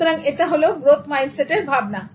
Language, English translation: Bengali, So that is the growth mindset voice